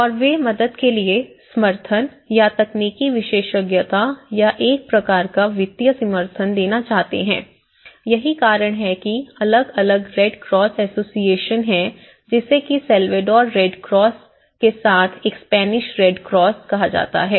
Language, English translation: Hindi, And they want to give their helping hand or the support or the technical expertise or a kind of financial supports so, that is how this is the time different red cross associations like one is a Spanish red cross along with the Salvadoran red cross